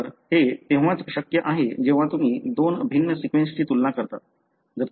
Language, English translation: Marathi, So, this is possible only when you compare two different sequences